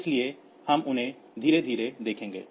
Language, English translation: Hindi, So, we will see them slowly